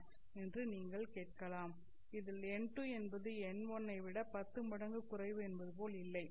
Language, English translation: Tamil, It turns out that n2 is not like say 10 times lower than n1